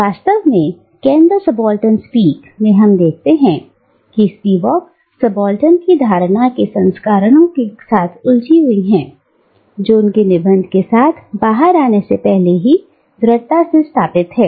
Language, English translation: Hindi, In fact in "Can the Subaltern Speak," we see Spivak engaging with versions of the concept of the subaltern which is already strongly established before she came out with her essay